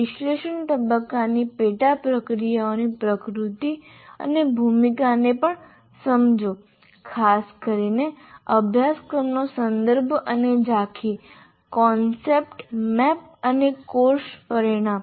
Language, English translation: Gujarati, And also understand the nature and role of sub processes of analysis phase, particularly course context and overview, concept map and course outcomes